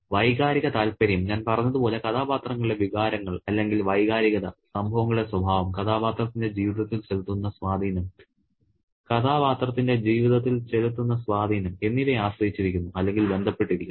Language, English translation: Malayalam, And the emotional interest as I said is dependent on or is associated in relation with the emotions or sentiments of the characters, the nature of events and the impact on the lives of the characters